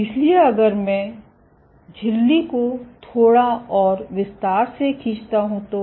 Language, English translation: Hindi, So, if I draw the membrane in a little more detail